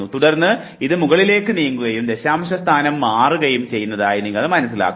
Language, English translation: Malayalam, 25, then you realize that this moved up and the decimal position changed